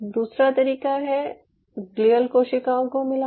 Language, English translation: Hindi, the second way is addition of glial cells